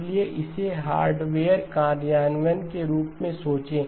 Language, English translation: Hindi, So think of it as a hardware implementation